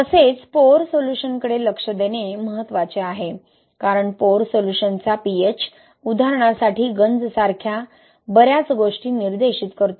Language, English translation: Marathi, Also it is important to look into the pore solution, right because the pH of pore solution dictates a lot of things like corrosion for an example